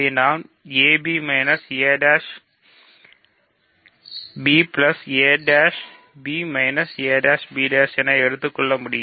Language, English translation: Tamil, So, I can take a b minus a prime b plus a prime b minus a prime b prime